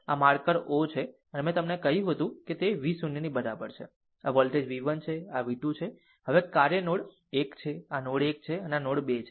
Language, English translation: Gujarati, This is marker o, and I told you that v 0 is equal to this is your voltage v 1, this is v 2, now act node 1, this is your node 1 and this is your node 2